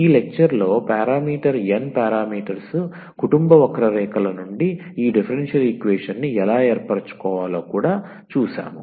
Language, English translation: Telugu, We have also seen in this lecture that how to this form differential equation out of the given of parameter n parameter family of curves